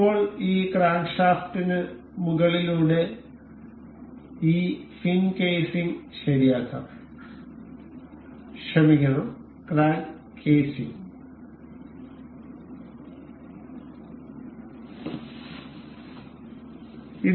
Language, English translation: Malayalam, Now, let us fix this crank this fin casing over this crankshaft, sorry the crank casing